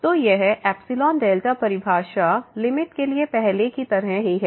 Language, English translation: Hindi, So, this epsilon delta definition is exactly the same as earlier for the limit